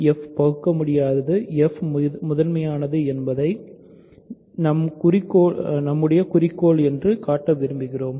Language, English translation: Tamil, You want to show f is prime, what is the meaning of being prime